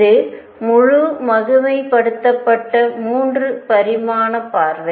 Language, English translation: Tamil, This is the full glorified 3 dimensional view